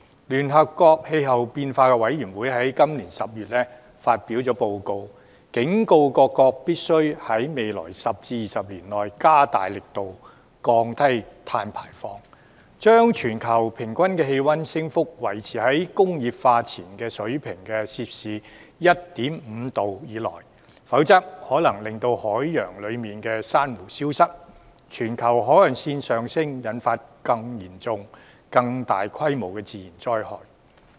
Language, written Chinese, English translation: Cantonese, 聯合國政府間氣候變化專門委員會在今年10月發表報告，警告各國必須在未來10至20年內，加大力度降低碳排放量，將全球平均氣溫升幅，維持在工業化前水平的 1.5°C 以內，否則，海洋裏的珊瑚可能消失、全球海岸線上升，引發更嚴重、更大規模的自然災害。, In the report released by the United Nations Intergovernmental Panel on Climate Change in October this year countries are warned that they must step up their efforts in reducing carbon emissions to maintain the increase of global average temperature within 1.5°C above the pre - industrialization level within the next 10 years to 20 years; otherwise it will lead to the possible disappearance of coral reefs in the oceans a rise in global sea level and natural disasters of greater severity and scale